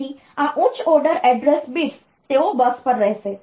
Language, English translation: Gujarati, So, this higher order address bits of the address they will remain on the bus